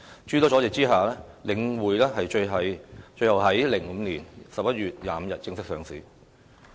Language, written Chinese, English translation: Cantonese, 諸多阻滯下，領匯最終於2005年11月25日正式上市。, The Link against many obstacles was officially listed on 25 November 2005 finally